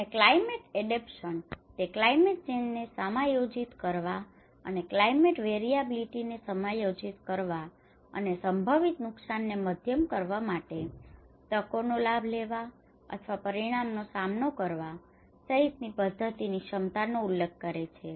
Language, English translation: Gujarati, And climate adaptation; it refers to the abilities of a system to adjust to a climate change including climate variability and extremes to moderate potential damage, to take advantage of opportunities, or to cope up with the consequences